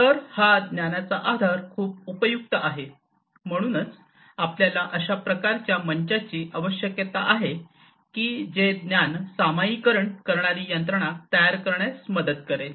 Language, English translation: Marathi, So, this knowledge base will be very helpful, so that is why we need some kind of a platform that can help build a knowledge sharing mechanism